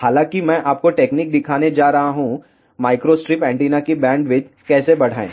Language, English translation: Hindi, However, I am going to show you the techniques, how to increase the bandwidth of microstrip antenna